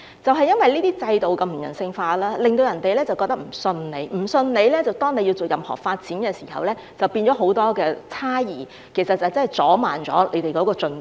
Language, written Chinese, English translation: Cantonese, 正因為這些制度如此不人性化，令市民無法相信政府；基於市民不信任政府，政府在作出任何發展時，市民都會有很多猜疑，這亦會阻慢了發展進度。, It is precisely due to these non - humanistic systems that the public do not trust the Government . Owing to the lack of public confidence in the Government whenever there is any development from the Government the public will naturally be very sceptical about it and this will also delay the progress of development